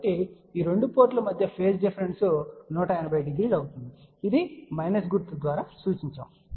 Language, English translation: Telugu, So, the phase difference between these 2 ports will be 180 degree which is represented by minus sign